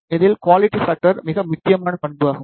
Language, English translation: Tamil, Among this quality factor is the most critical parameter